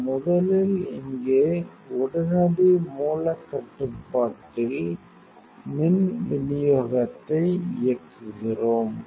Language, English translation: Tamil, We first switch on the power supply here in the immediacy source control